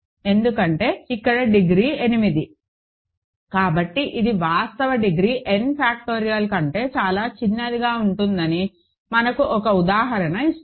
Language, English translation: Telugu, Because, here the degree is 8, so and that is just gives us an example that the actual degree can be much smaller than what n factorial is